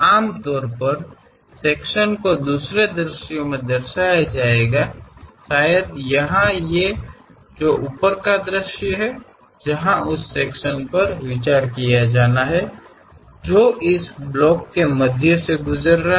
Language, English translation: Hindi, Usually the section will be represented in other view, may be here in the top view, where section has to be considered on that object which is passing at the middle layers of that block